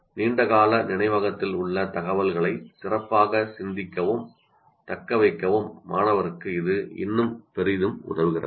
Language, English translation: Tamil, But it still greatly helps for the student to think and kind of retain the information in the long term memory better